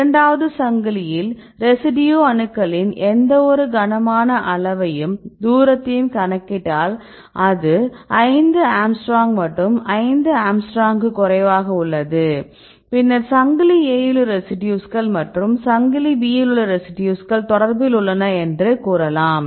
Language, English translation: Tamil, Now, if you see the atoms of any residue and calculate the distance with any of the heavy atoms in the second chain, and set the distance of for example, 5 angstrom and if this distance is less than 5 angstrom, then you can say the residues in a chain A and the residue in chain B are in contact and they are interacting with each other